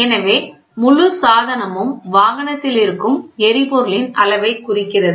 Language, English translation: Tamil, So, the entire device is indicating the level of fuel present in the vehicle